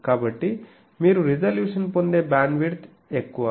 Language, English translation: Telugu, So, greater you get the bandwidth you get the resolution